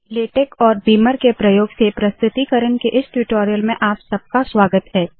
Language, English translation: Hindi, Welcome to this spoken tutorial on presentation using Latex and beamer